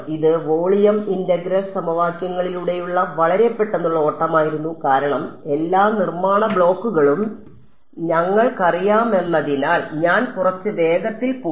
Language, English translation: Malayalam, So, this was a very quick run through of volume integral equations I went a little fast because we know all the building blocks